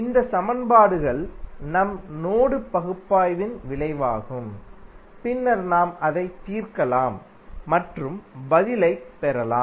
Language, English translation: Tamil, These are the equations which are the outcome of our mesh analysis and then we can finally solve it and get the answer